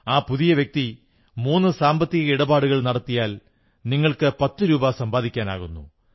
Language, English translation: Malayalam, If the new member does three transactions, performs financial business thrice, you stand to earn ten rupees for that